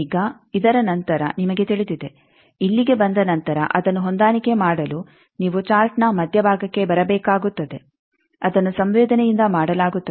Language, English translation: Kannada, Now, after this you know that after coming here you will have to come to the centre of the chart to match it that is done by the susceptance